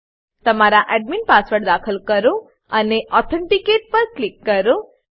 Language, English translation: Gujarati, Enter your admin password and click on Authenticate